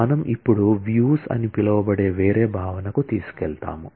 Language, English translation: Telugu, Now, we take you to a different concept known as views now